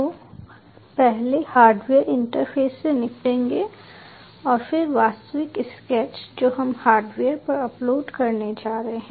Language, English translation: Hindi, so will first deal with hardware interface and then the actual sketch we are going to, which you are going to upload on the hardware